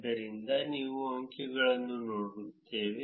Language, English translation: Kannada, So, we look at the figures